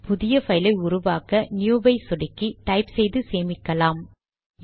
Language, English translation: Tamil, If you want to create a file, click new, type and save